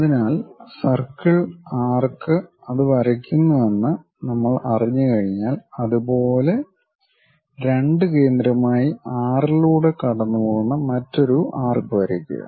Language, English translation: Malayalam, So, once we know that circle arc draw that one; similarly, using 2 as center draw another arc passing through 6